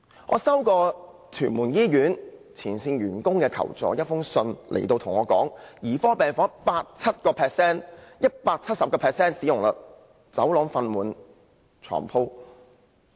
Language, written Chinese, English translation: Cantonese, 我曾接獲屯門醫院前線員工的求助信，他們指兒科病房的使用率高達 170%， 走廊放滿病床。, In a letter sent me for seeking assistance some frontline staff from the Tuen Mun Hospital stated that the bed occupancy rate of paediatric units is as high as 170 % where corridors are crowed with beds